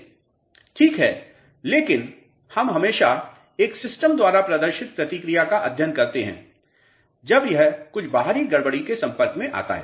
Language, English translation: Hindi, Alright, but we a we are always studying the response exhibited by a system when it comes in contact with some external disturbances